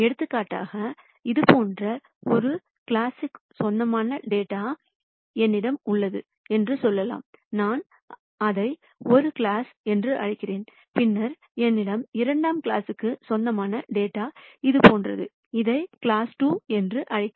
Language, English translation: Tamil, For example, let us say I have data belonging to class one like this, and I call it class one and then I have data belonging to class two is something like this, call it class 2